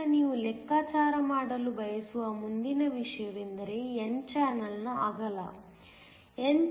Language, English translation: Kannada, So, the next thing you want to calculate is the width of the n channel